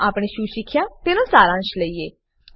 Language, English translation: Gujarati, Let us summarize what we have learnt